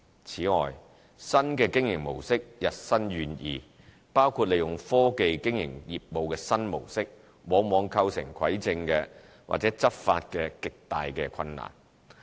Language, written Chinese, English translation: Cantonese, 此外，新的經營模式日新月異，包括利用科技經營業務的新模式，往往構成蒐證及執法的極大困難。, Moreover the proliferations of new modes of operation including those with the aid of technology have made the collection of evidence and enforcement actions increasingly difficult